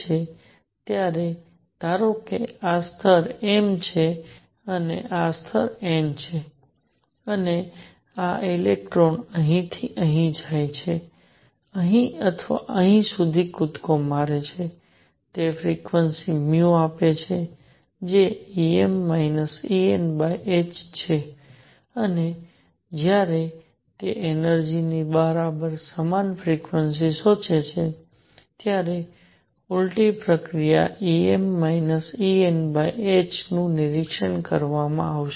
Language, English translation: Gujarati, So, suppose this level is m, this level is n and this electron jumps from here to here or here to here or here to here, it gives a frequency nu which is E m minus E n over h and the reverse process when it absorbs energy exactly same frequency is going to be observed E m minus E n over h